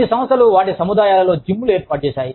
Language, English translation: Telugu, Some organizations, have gyms in their complexes